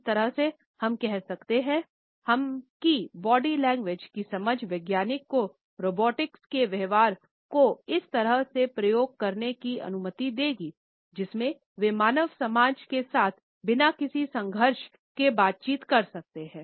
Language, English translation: Hindi, In a way, we can say that the understanding of body language would allow the scientist to program the behaviour of robotics in a manner in which they can interact with human society without any conflict